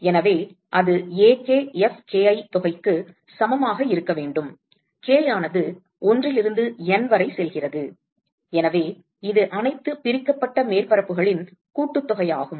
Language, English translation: Tamil, So, that should be equal to sum of Ak Fki, k going from 1 to N and so, it is just the sum over all the divided surfaces